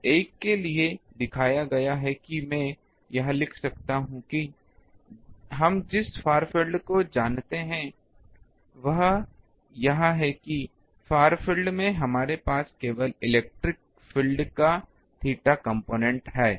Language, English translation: Hindi, So, for the one shown that these elemental one I can write what will be the far field we know, that in the far field we have only theta component of the electric field